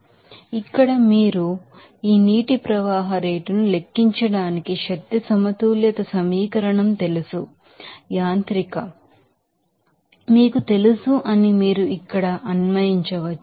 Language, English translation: Telugu, So, again here you can apply that you know, mechanical you know energy balance equation to calculate this water flow rate here